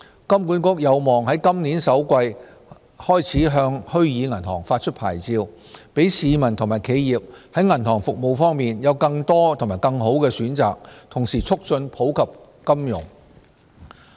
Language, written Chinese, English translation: Cantonese, 金管局有望在今年首季開始向虛擬銀行發出牌照，讓市民和企業在銀行服務方面有更多及更好的選擇，同時促進普及金融。, HKMA is expected to start granting licences to virtual banks in the first quarter of this year so as to give individuals and enterprises more and better choices of banking services as well as promoting financial inclusion